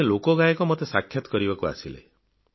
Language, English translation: Odia, Once a folk singer came to meet me